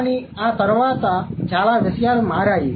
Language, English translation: Telugu, But a lot of things have changed after that